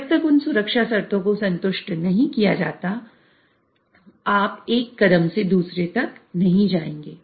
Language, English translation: Hindi, So unless those safety conditions are satisfied, you will not move on from one step to the other other